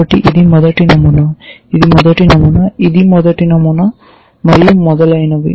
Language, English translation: Telugu, So, this is the first pattern, this is the first pattern, this is the first pattern and so on